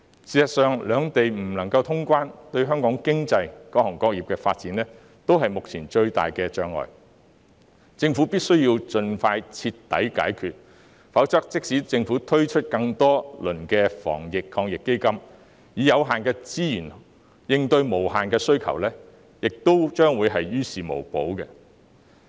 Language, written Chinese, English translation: Cantonese, 事實上，兩地不能通關，對香港經濟、各行各業的發展均是目前最大的障礙，政府必須盡快徹底解決，否則即使政府推出更多輪的防疫抗疫基金，以有限資源應對無限需求，也於事無補。, In fact the cross - boundary travel restrictions between the two places is now the biggest obstacle to the development of the Hong Kong economy and various trades and industries . The Government must identify a thorough solution as soon as possible otherwise even if the Government introduces additional rounds of Anti - epidemic Fund to meet the unlimited demand with limited resources it will merely be in vain